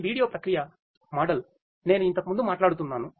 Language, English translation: Telugu, This is this video processing model that I was talking about earlier